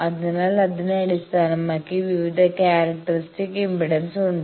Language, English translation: Malayalam, So, based on that there are various characteristic impedance